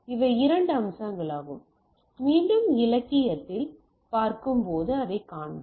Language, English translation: Tamil, So, these are the two aspects and again in the literature, we will find that when we see